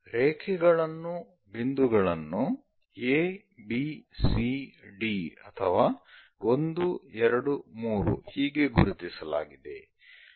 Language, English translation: Kannada, The lines, points are noted as a, b, c, d and so on or perhaps 1, 2, 3 and so on